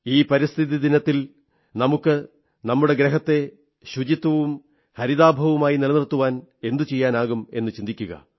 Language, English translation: Malayalam, On this environment day, let all of us give it a good thought as to what can we do to make our planet cleaner and greener